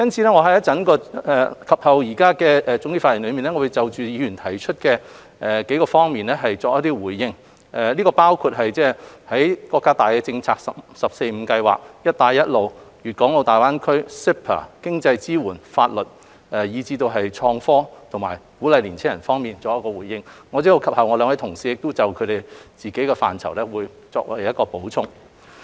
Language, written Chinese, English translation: Cantonese, 我會在總結發言就議員提出的數方面作出回應，包括就國家大政策如"十四五"規劃、"一帶一路"倡議、粵港澳大灣區發展、CEPA、經濟支援、法律，以至創科和鼓勵青少年方面，稍後兩位同事亦會就各自範疇作出補充。, I will in my concluding remarks respond to issues pertaining to several areas referred to by Members including major national policies the Belt and Road BR Initiative the development of the Guangdong - Hong Kong - Macao Greater Bay Area MainlandHong Kong Closer Economic Partnership Arrangement CEPA economic support law innovation and technology and youth encouragement as well . And two of my colleagues from the Development Bureau and the Financial Services and the Treasury Bureau will also make additional comments in relation to their respective areas of responsibilities later on